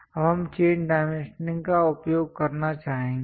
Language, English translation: Hindi, Now, we would like to use chain dimensioning